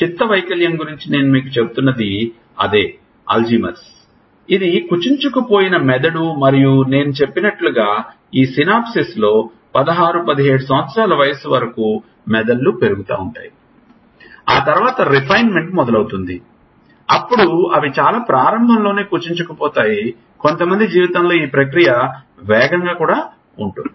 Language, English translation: Telugu, That is what I was telling you about dementia this is a alzheimer's this is a brain which is shrunken and as I said the brains grow till 16, 17 years of age in this synapsis then, pruning starts then they actually start shrinking right from very early in life for some people the process is faster